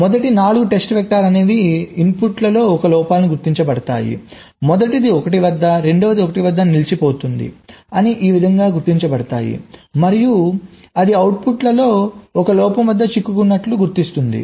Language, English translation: Telugu, the first four test vectors will be detecting these stuck at one faults on the inputs, the first one stuck at one, second one stuck at one, and so one